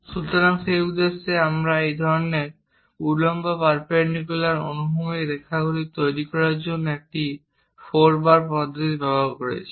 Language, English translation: Bengali, So, for that purpose we are using four bar mechanism to construct this kind of vertical, horizontal lines